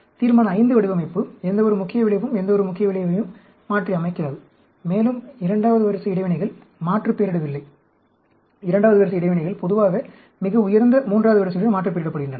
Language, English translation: Tamil, Resolution V design, no main effect is aliased with any main effect, and no second order interactions are aliased; second order interactions are generally aliased with much higher, third order